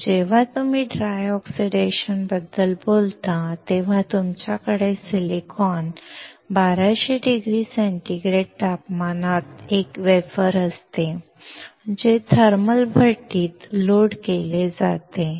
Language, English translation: Marathi, When you talk about dry oxidation, you have silicon, a wafer at very high temperature about 1200 degree centigrade, loaded into a thermal furnace